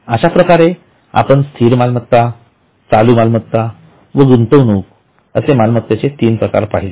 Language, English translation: Marathi, Now the types of assets, we have got fixed assets, current assets and investments